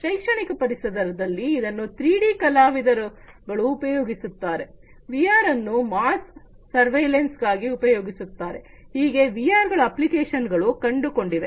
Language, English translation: Kannada, In educational environments it is used by 3D artists, VR are used for mass surveillance also you know VR has found applications